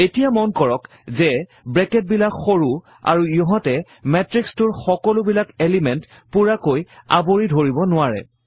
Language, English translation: Assamese, Now, notice that the brackets are short and do not cover all the elements in the matrix entirely